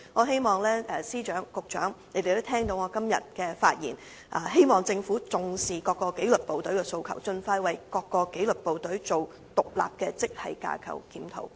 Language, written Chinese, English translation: Cantonese, 希望司長、局長聽到我今天的發言後，能重視各個紀律部隊的訴求，盡快為他們進行獨立的職系架構檢討。, I hope the Secretaries of Departments and Bureau Directors would after listening to what I have said today attach importance to the aspirations of various disciplined services and expeditiously conduct independent grade structure reviews for them